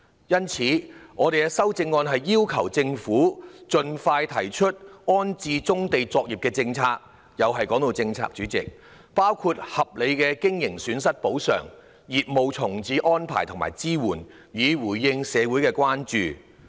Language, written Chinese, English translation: Cantonese, 因此，我的修正案要求政府盡快提出安置棕地作業的政策——代理主席，又提到政策——包括合理的經營損失補償、業務重置的安排及支援，以回應社會的關注。, For this reason my amendment requests the Government to expeditiously come up with a policy for accommodating brownfield operations―Deputy President here comes the policy again―including reasonable compensation for business losses as well as arrangements and support for the reprovisioning of business so as to address public concerns